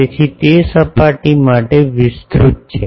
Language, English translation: Gujarati, So, that is extending for the surface